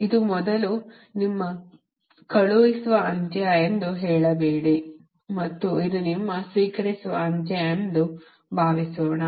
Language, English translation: Kannada, dont say this is your sending end and this is your receiving end